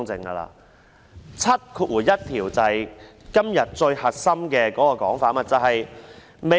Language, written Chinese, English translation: Cantonese, 第71條便是今天最核心的問題。, Section 71 is the core of the present problem